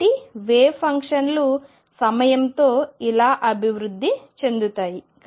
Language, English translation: Telugu, So, this is how wave functions evolve in time